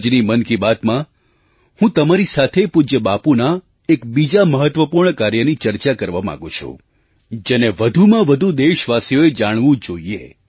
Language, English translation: Gujarati, In today's Mann Ki Baat, I want to talk about another important work of revered Bapu which maximum countrymen should know